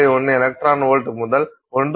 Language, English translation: Tamil, 1 electron volt to 1